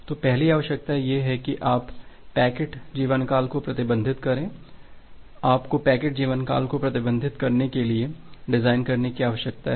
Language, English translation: Hindi, So, the first requirement is that you need to restrict the packet lifetime you need to design a way to restrict the packet lifetime